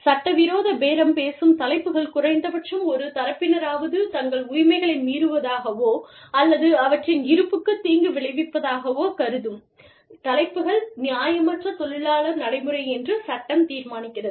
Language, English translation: Tamil, Illegal bargaining topics are topics, that at least one party, considers as an infringement of their rights, or detrimental to their existence, and that the law determines are, unfair labor practice